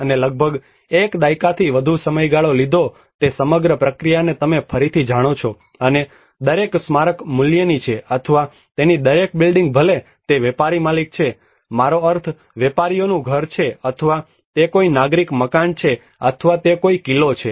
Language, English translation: Gujarati, And it took almost more than a decade to rebuild the whole process you know the each and every monument is worth or each and every building of its whether it is a merchants owner I mean merchants house or it is any civic building or it is any fort